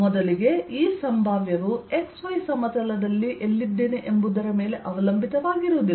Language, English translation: Kannada, one, this potential is not going to depend on the where i am on the x y plane, right